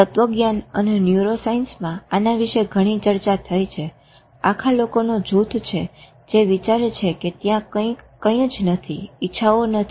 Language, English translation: Gujarati, There is a lot of debate in philosophy and neuroscience about, there is a whole group of people who think there is nothing, it is not a will, there is no will